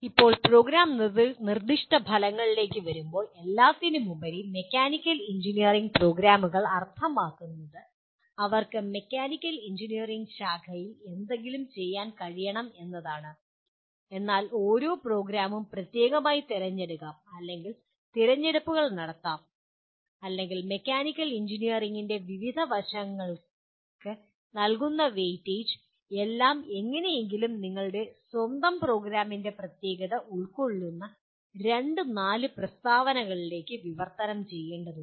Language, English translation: Malayalam, Now, coming to Program Specific Outcomes, after all mechanical engineering program would mean they should be able to do something in mechanical engineering in the discipline but then each program may specialize or make certain choices or the weightage given to different aspects of mechanical engineering and these all will have to somehow get translated into two to four statements which capture the specificity of your own program